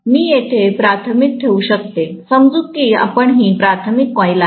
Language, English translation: Marathi, I may put actually primary here, let’s say this is the primary coil